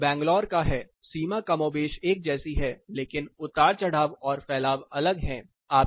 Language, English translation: Hindi, And this is the case of Bangalore the boundary more or less lies similar, but the fluctuations and the spread is different